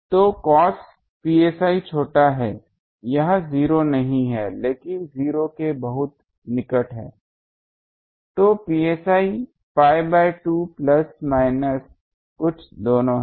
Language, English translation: Hindi, So, cos psi small it is not 0, but very near 0 so psi is pi by 2 plus minus something in both sides